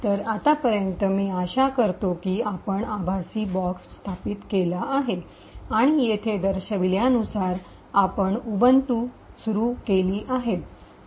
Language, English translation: Marathi, So, I hope by now that you have actually install the virtual box and you actually have this Ubuntu running as shown over here